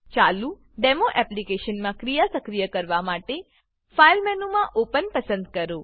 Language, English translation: Gujarati, In the running Demo Application, choose Open in the File menu to trigger the action